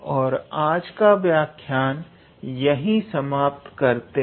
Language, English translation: Hindi, And today, we will stop our lecture here